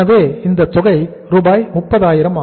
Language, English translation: Tamil, So this amount is Rs